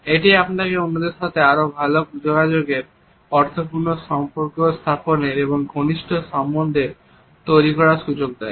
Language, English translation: Bengali, It allows you to better communicate with others established meaningful relationships and build rapport